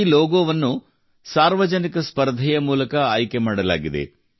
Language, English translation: Kannada, This logo was chosen through a public contest